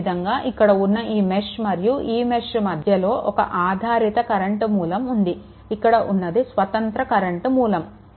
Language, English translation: Telugu, Similarly, between these mesh and these mesh, another dependent current source is there, this is independent current source this is